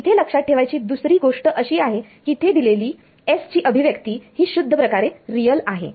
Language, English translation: Marathi, The other thing to note over here is this S expressional over here its purely real